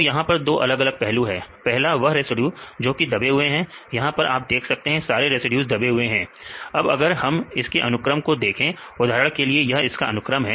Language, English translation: Hindi, So, here there are two different aspects one aspect you can see the residues which are in buried which are the residues buried especially you can see these residues they are in buried now we define a particular sequence for example, this is a sequence